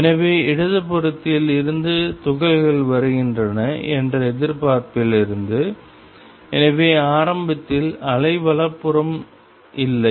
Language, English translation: Tamil, So, from the expectation that particles are coming from left; so, initially they are no particles to the right